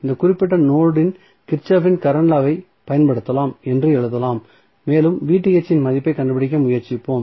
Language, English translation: Tamil, So, what we can write we can use Kirchhoff's current law at this particular node and we will try to find out the value of Vth